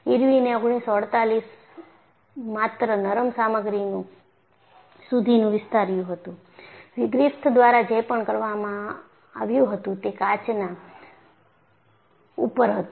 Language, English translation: Gujarati, Only in 1948, Irwin extended this to ductile materials; whatever the work that was done by Griffith, was on glass